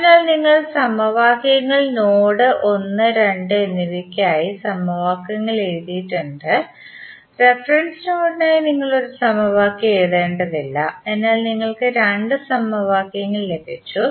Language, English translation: Malayalam, So, you have written for principal node 1 and 2 and you need not to write any equation for reference node, so you got two equations